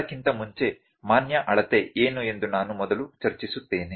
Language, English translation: Kannada, I will first discuss before that what is a valid measurement